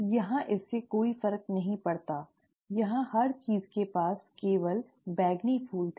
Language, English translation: Hindi, Here it does not make a difference; here everything had only purple flowers